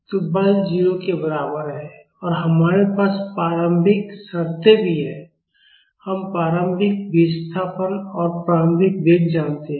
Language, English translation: Hindi, So, the force is equal to 0 and we also have initial conditions we know the initial displacement and initial velocity